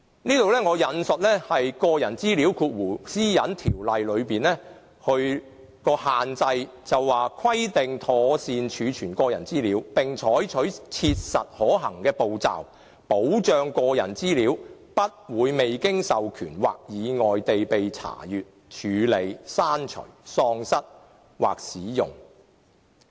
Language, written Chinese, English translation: Cantonese, 就此，我說出《私隱條例》的限制：規定妥善儲存個人資料，並採取切實可行的步驟，保障個人資料不會未經授權或意外地被查閱、處理、刪除、喪失或使用。, In this connection let me highlight the restrictions pertaining to PDPO It is provided that personal data shall be stored properly and all practicable steps shall be taken to ensure that personal data is protected against unauthorized or accidental access processing erasure loss or use